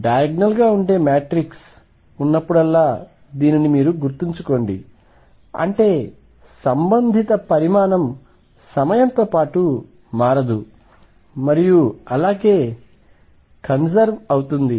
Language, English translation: Telugu, Recall that whenever there is a matrix which is diagonal; that means, the corresponding quantity does not change with time and is conserved